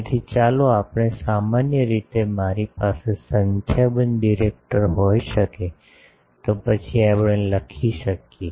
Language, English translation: Gujarati, So, let us in general I can have n number of directors, so then we can write the